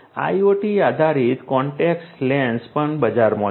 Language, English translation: Gujarati, IoT based contact lenses are also there in the market